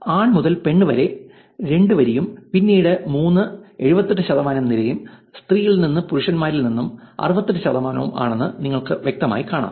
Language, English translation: Malayalam, You can clearly see that from male to female which is the row 2 and then the column 3, 78 percent and from female to male which is 68 percent